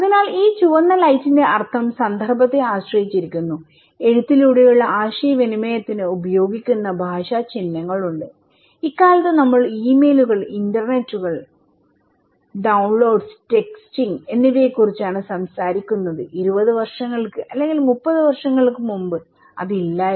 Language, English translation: Malayalam, So, the meaning of this red light depends on the context similarly, we have language symbol used for written communications okay like nowadays, we are talking about emails, internets, downloading, texting which was not there just maybe 20 years before okay or maybe 30 years before so, which is very new to us